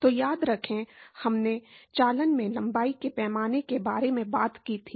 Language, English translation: Hindi, So, remember, we talked about length scale in conduction